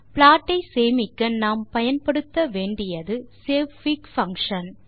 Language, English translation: Tamil, So saving the plot, we will use savefig() function